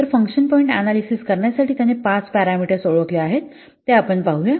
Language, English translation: Marathi, So, he had identified five parameters for performing the function point analysis, let's see